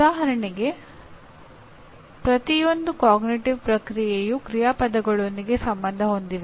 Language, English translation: Kannada, For example each one of the cognitive process is associated with a set of action verbs